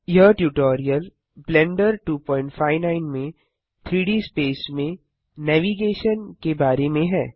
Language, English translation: Hindi, This tutorial is about Navigation – Moving in 3D space in Blender 2.59